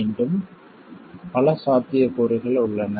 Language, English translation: Tamil, Again, many other possibilities exist